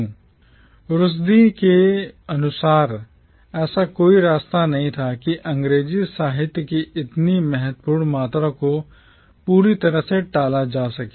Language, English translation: Hindi, According to Rushdie there was no way that such a significant amount of English literature could be altogether avoided